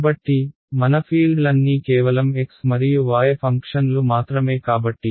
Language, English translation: Telugu, So, it also means that all my functions all my fields are functions of only x and y right so ok